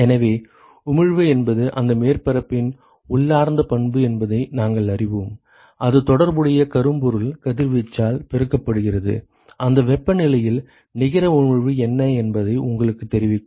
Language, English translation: Tamil, So, we know that emissivity is an intrinsic property of that surface that multiplied by the corresponding blackbody radiation, at that temperature, will tell you what is the net emission ok